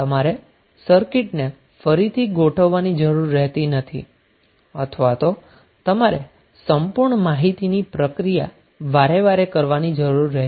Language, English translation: Gujarati, So you need not to rearrange the circuit or you need not to reprocess the complete information again and again